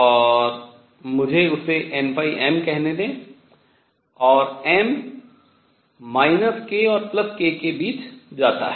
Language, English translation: Hindi, And let me call that n phi m, and m goes between minus k and k